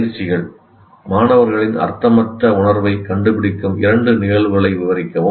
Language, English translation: Tamil, So please describe two instances of students finding sense, but no meaning